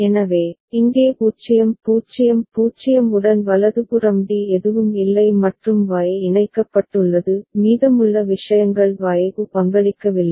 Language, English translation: Tamil, So, with 0 0 0 over here right D naught and Y is connected the rest of the things are not contributing to the Y